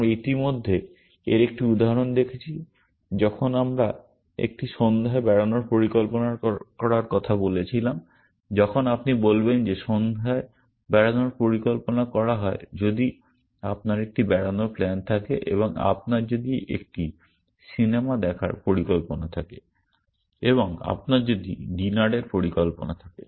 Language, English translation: Bengali, We have already seen an example of this when we were talking about planning an evening out when you say that evening out is planned if you have an outing plan and if you have a movie plan and if you have a dinner plan